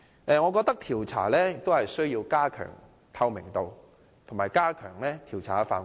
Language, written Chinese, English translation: Cantonese, 我認為是次調查需要加強透明度及擴大調查範圍。, To me this inquiry should be more transparent and cover a wider scope